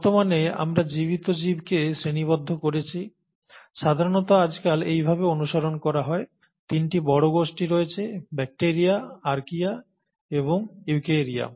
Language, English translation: Bengali, But as of today, we have classified the living organisms, and this is how is normally followed these days, are into three major domains; the bacteria, the archaea and the eukarya